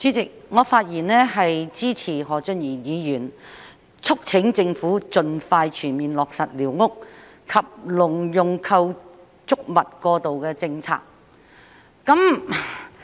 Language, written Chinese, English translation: Cantonese, 主席，我發言支持何俊賢議員促請政府盡快全面落實寮屋及農用構築物過渡政策。, President I speak in support of Mr Steven HO to urge the Government to expeditiously and fully implement the interim policies for squatter structures and agricultural structures